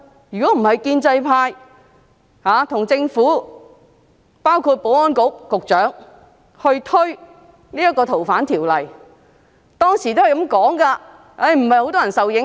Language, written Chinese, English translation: Cantonese, 如果不是建制派和政府，包括保安局局長推行《逃犯條例》修訂，香港現在便不會這樣。, If the pro - establishment camp and the Government including the Secretary for Security had not introduced amendments to the Fugitive Offenders Ordinance Hong Kong would not have come to the current state